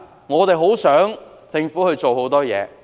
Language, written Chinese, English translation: Cantonese, 我們很想政府做很多事情。, We very much hope that the Government can do more